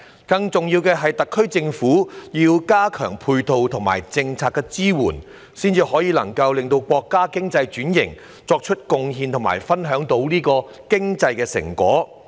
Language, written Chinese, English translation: Cantonese, 更重要的是，特區政府要加強配套和政策支援，才能夠為國家經濟轉型作出貢獻和分享經濟成果。, More importantly the SAR Government has to enhance the complementary measures and policy support so as to contribute to the economic transformation of the country and enjoy the fruits of economic development